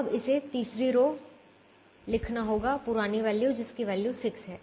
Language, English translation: Hindi, now we have to write the third row, the old value